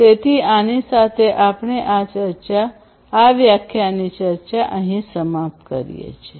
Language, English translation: Gujarati, So, with this we come to an end